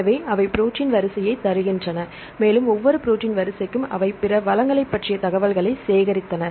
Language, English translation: Tamil, So, they give the protein sequence and for each protein sequence, they added information regarding other resources